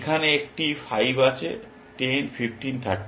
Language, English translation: Bengali, There is a 5 here 10, 15, 30